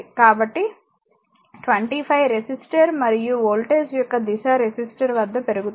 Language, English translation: Telugu, So, 25 resistor and the direction of the voltage rise across the resistor